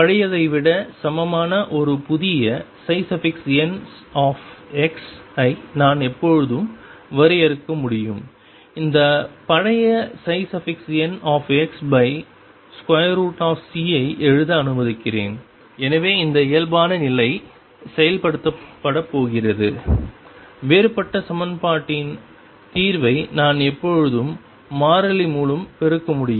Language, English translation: Tamil, That I can always defined a new psi n x which is equal to the old let me write this old psi n x divided by square root of c, So that this condition of normality is going to be enforced because I can always multiply solution of differential equation by constant